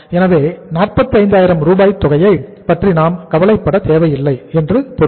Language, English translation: Tamil, So it means 45,000 we need not to worry